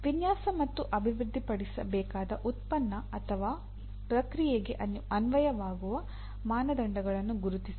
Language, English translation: Kannada, Identify the standards that are applicable to the product or process that needs to be designed and developed